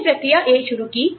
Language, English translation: Hindi, I started process A